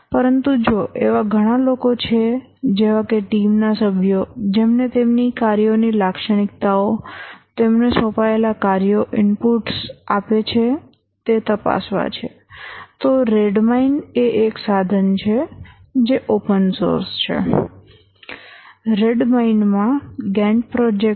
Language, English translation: Gujarati, But if there are multiple people who would like to use, like the team members would like to examine their task characteristics, the tasks assigned to them, give inputs and so on, then Red Mine is a tool which is again open source, Gant Project and Red Mine